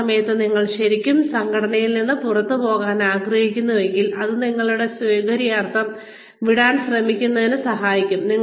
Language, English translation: Malayalam, At that point, if you are really planning to quit the organization, it will help, to try to leave, at your convenience